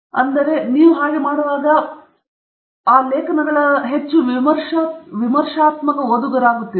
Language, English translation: Kannada, In that process, you will become a much more critical reader of those papers